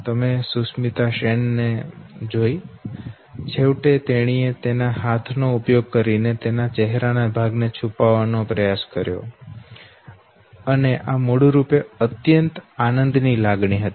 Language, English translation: Gujarati, You saw a Sushmita Sen know, finally what she did was, she just know tried to hide her part of the face okay, using her hands, and this was basically know joy of an ultimate order